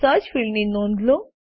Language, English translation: Gujarati, Notice, the Search field